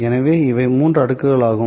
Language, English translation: Tamil, So that is the physical layer